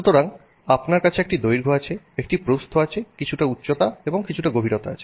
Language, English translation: Bengali, So, you have a length, a width, some height and some depth